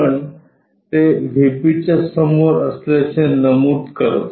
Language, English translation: Marathi, But, it clearly mentions that it is in front of VP